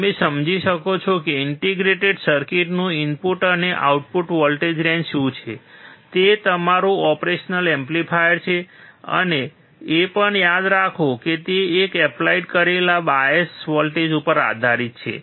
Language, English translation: Gujarati, You can understand what is the input and output voltage range of the integrated circuit, that is your operational amplifier and also remember that it depends on the bias voltage that you are applying